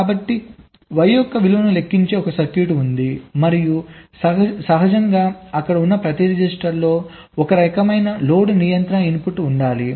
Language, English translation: Telugu, so there is a circuit which is calculating the value of y and it is feeding here, and naturally, with each register, there has to be a some kind of a load control input